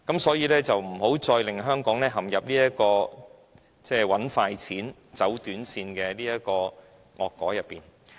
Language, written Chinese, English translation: Cantonese, 所以，請不要再令香港陷入賺快錢、走短線的惡果之中。, Hence please no longer make Hong Kong suffer from the evil consequences of making quick money and taking shortcuts